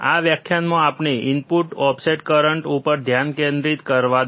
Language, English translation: Gujarati, This lecture let us concentrate on input offset current